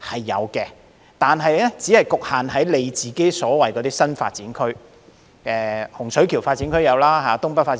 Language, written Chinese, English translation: Cantonese, 有的，但只限於新發展區——洪水橋發展區、東北發展區。, Yes it has but only for new development areas such as the Hung Shui Kiu New Development Area and the North East New Territories New Development Areas